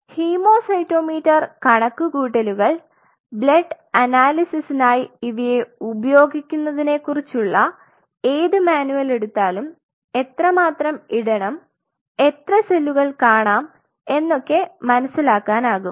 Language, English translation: Malayalam, So, this hem cytometer calculation this you can really pull out any manual where they do the blood analysis will figure out how much you have to put and how much cells you are seeing